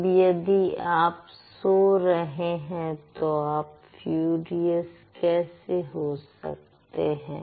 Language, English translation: Hindi, And if you are sleeping, you can't be furious